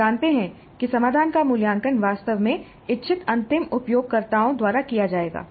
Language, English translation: Hindi, They know that their solution will be actually assessed by the intended end users